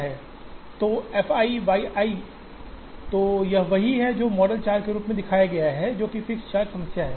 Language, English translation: Hindi, So, f i y i, so this is what is shown there as model 4, which is the fixed charge problem